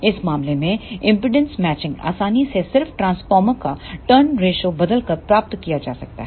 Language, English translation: Hindi, So, in this case the impedance matching can be easily achieved by just changing the turn ratio of the transformer